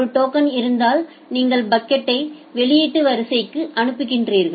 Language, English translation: Tamil, If there is a token then you sending the packet to the output queue